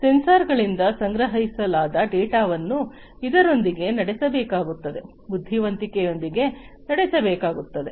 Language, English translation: Kannada, The data that are collected by the sensors will have to powered with; will have to be powered with intelligence